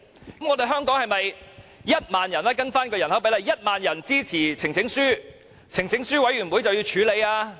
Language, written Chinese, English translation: Cantonese, 如果按人口比例計算，香港是否只需1萬人支持呈請書，呈請書委員會便要處理？, Given the population size of Hong Kong is it that a petition with 10 000 signatures should be considered by a local petitions committee for a debate?